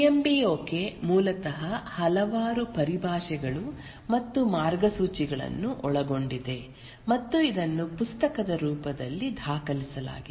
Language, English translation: Kannada, The PMBOK basically consists of several terminologies and guidelines and this has been documented in the form of a book